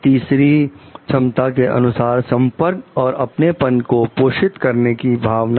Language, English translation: Hindi, Third one of the competency is like fostering a sense of connection and belonging